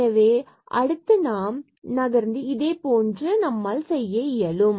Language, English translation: Tamil, So, moving next now similarly what we can do